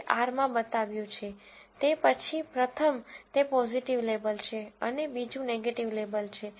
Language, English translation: Gujarati, That is shown in, in R, then the, the first one is the positive label and the second one is the negative label